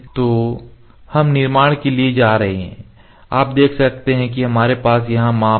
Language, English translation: Hindi, So, we can go to construction you can see we have measure here measure